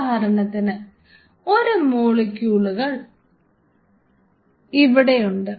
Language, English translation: Malayalam, For example, you have this molecule out here